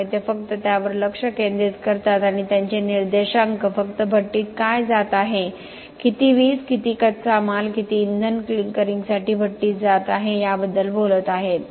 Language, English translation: Marathi, So, they focus only on that and their indices are talking about only what is going into the kiln, how much electricity, how much raw materials, how much fuel are going to the kiln for the clinkering